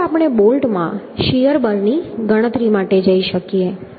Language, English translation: Gujarati, Then one we can go for calculation of the shear force in the bolt